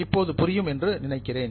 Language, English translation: Tamil, I think you know it all now